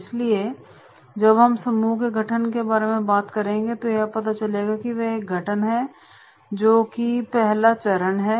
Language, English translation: Hindi, So when we talk about the formation of the group then in the formation of the group we will find that is there is a forming is there, first stage